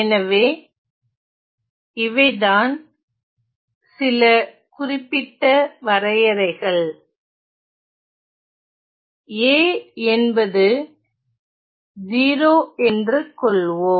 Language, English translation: Tamil, So, then there are some specific definition; there are some specific definition let us say that a is 0